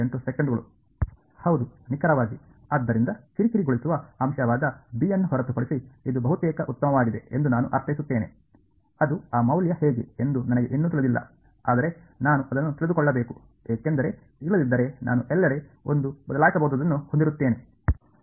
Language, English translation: Kannada, Yeah exactly, so I mean it is a fine it is almost done except for the annoying factor b which I still do not know how what that value is, but I need to know it because otherwise I will have that one variable everywhere